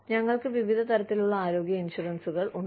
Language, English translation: Malayalam, We have various types of health insurance